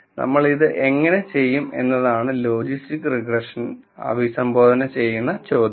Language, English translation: Malayalam, So, how do we do this, is the question that logistics regression addresses